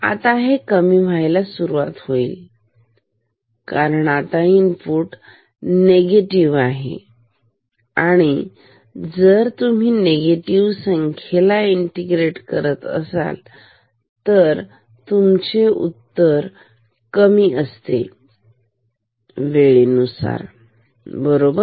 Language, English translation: Marathi, It will now start to decrease ok, because now input is negative and if you integrate a negative value, then the result decreases with time, right